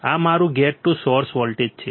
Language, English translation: Gujarati, This is my gate to source voltage